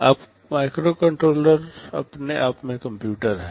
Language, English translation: Hindi, Now, microcontrollers are computers in their own right